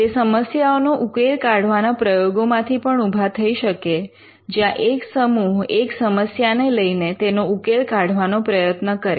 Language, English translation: Gujarati, They may result from problem solving exercises, where a group of people take up a problem and solve it